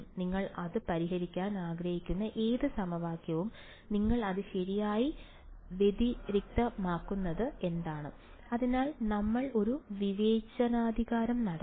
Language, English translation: Malayalam, Any equation you want to solve it, what would you do discretize it right, so we would do a discretisation